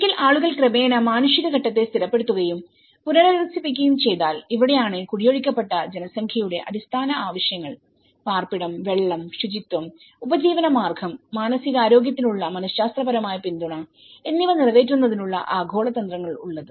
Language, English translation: Malayalam, Once, people gradually stabilize and rehabilitation the humanitarian phase this is where the global strategies to cover basic needs of displaced population in shelter, water and sanitation, livelihood and also the psychological support for mental health